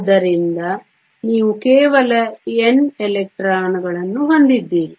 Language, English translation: Kannada, So, You have only N electrons